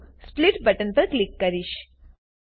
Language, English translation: Gujarati, Now I will click on the Split button